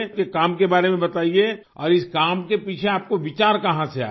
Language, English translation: Hindi, Tell us about your work and how did you get the idea behind this work